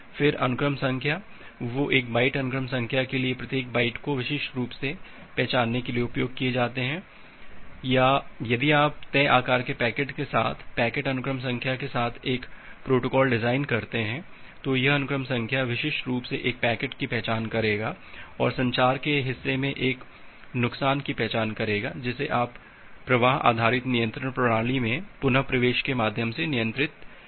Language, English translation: Hindi, Then the sequence numbers, they are used to uniquely identify each byte for a byte sequence number or if you designing a protocol with the packet sequence number with fix size packets, then this, this sequence number will denote uniquely identify a packet and loss in the communication part it is handled through retransmission in the flow based flow based control mechanism in the based flow control mechanism